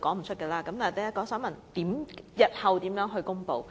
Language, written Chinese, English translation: Cantonese, 所以，我現在想問，日後會如何公布？, So I would rather ask how the Government will do with the reporting in the future